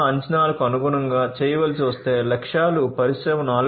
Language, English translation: Telugu, 0 expectations, the objectives of Industry 4